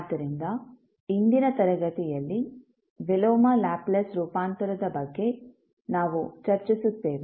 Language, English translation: Kannada, So, in today's class, we will discuss about the Inverse Laplace Transform